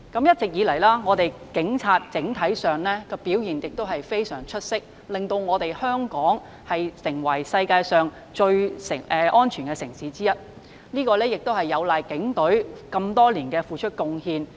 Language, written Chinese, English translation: Cantonese, 一直以來，香港警察整體上的表現非常出色，令香港成為世界上最安全的城市之一，實在有賴警隊多年來的付出和貢獻。, The overall performance of the Hong Kong Police Force has always been outstanding . Thanks to the efforts and contribution of the Police Force Hong Kong has become one of the safest cities in the world